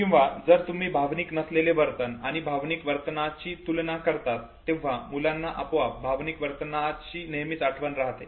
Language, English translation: Marathi, Or if you compare between recollection of a non emotional behavior verses emotional behavior children by default will always have a better recall of emotional behavior